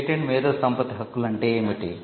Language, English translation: Telugu, what is a patent intellectual property rights